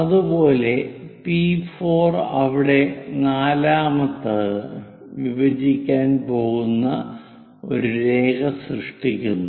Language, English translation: Malayalam, Similarly, P4 where 4th one and generate a line going to intersect